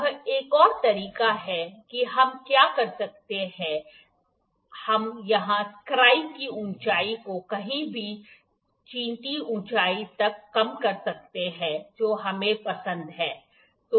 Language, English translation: Hindi, This is another way what we can do we can just lower down the height of the scribe here to somewhere to anyheight whatever we like